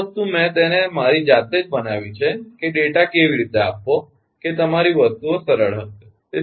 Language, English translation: Gujarati, so this thing i have made it of my own that how to give the data such that your things will easier, right